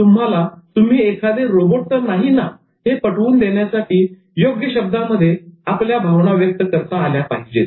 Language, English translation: Marathi, Emotions are to be expressed through appropriate words to indicate that you are not actually a robot